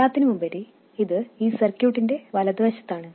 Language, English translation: Malayalam, After all, it is to the right side of this circuit